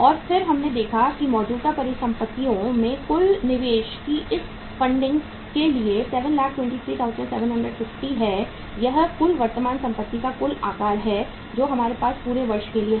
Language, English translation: Hindi, And then we saw that for this funding of the total investment in the current asset that is 7,23,750 uh this is the total size of the current assets we are going to have for the whole of the year